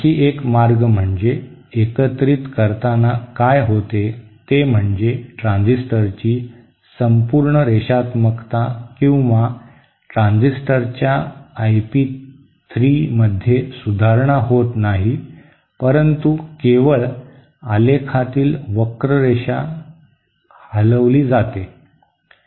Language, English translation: Marathi, One other way in, what happens during combining is that the overall linearity of the transistor or I p 3 of the transistor is not improved, but just that the curve is shifted away